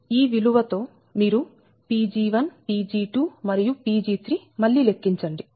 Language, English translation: Telugu, with that you calculate again pg one, pg two and pg three, right